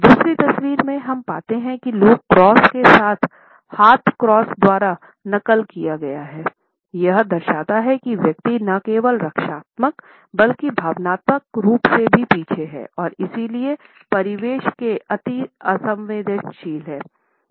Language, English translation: Hindi, In the second photograph, we find that the leg cross is duplicated by the arms crossed; it shows that the individual is not only defensive, but is also emotionally withdrawn and therefore, is almost unreceptive to surroundings